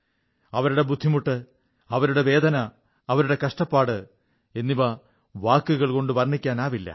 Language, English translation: Malayalam, Their agony, their pain, their ordeal cannot be expressed in words